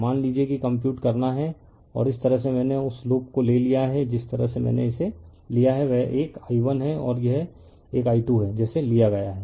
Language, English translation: Hindi, That you suppose you have to compute and this way I have taken that loops are this thing the way I have taken this is one is i 1 and this is one is like taken i 2 right